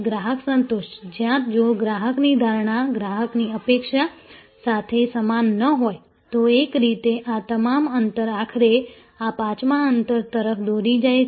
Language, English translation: Gujarati, So, customer satisfaction, where if the customer perception is not in confirmative with customer expectation, so in a way all this gaps finally, lead to this fifth gap